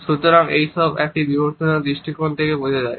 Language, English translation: Bengali, So, this all makes sense from an evolutionary perspective